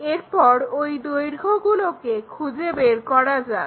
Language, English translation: Bengali, And, let us find what are that lengths